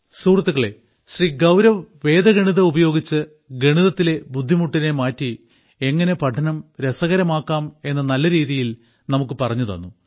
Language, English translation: Malayalam, Friends, Gaurav ji has very well explained how Vedic maths can transform mathematicsfrom complex to fun